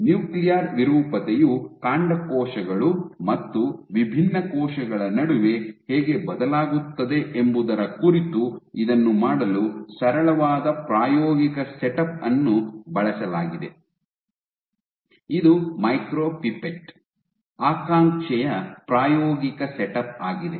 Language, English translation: Kannada, So, to do this to as a how nuclear deformity varies between stem cells and differentiated cells a simple experimental setup that has been used is the experimental setup of micropipette aspiration